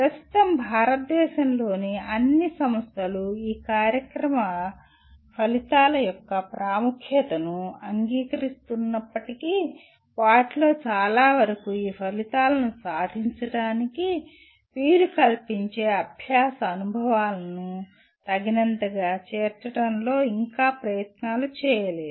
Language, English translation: Telugu, While all at present all institutions in India acknowledge the importance of these Program Outcomes, most of them are yet to make efforts in adequately incorporating learning experiences that facilitate attaining these outcomes